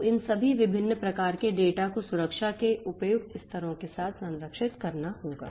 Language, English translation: Hindi, So, all these types different types of data will have to be protected with suitable levels of protection